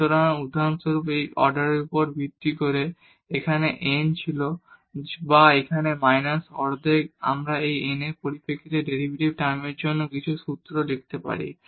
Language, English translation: Bengali, So, based on these order for example, here it was n or here minus half we can have some formula for the derivative term in terms of this n